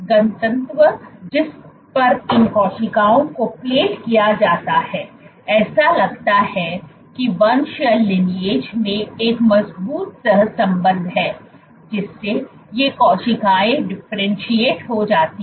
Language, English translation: Hindi, The density at which these cells are plated seems to have a strong correlation in the lineage to be which these cells differentiate